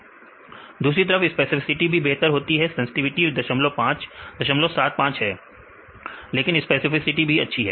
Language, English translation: Hindi, On the other hand, specificity is also better; a sensitivity is 0